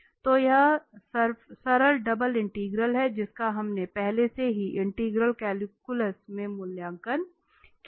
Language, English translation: Hindi, So this is the simple double integral which we have evaluated already in integral calculus